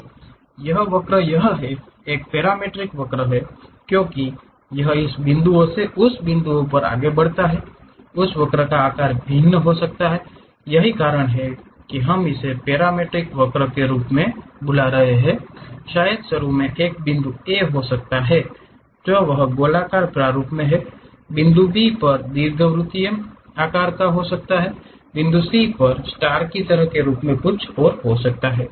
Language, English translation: Hindi, So, this curve it is a parametric curve as it is moving from this point to that point, the shape of that curve might be varying that is the reason what we why we are calling it as parametric curve maybe initially at point A it might be in circular format; at point B it might be ellipse elliptical kind of shape; at point C it might be having something like a star kind of form and so on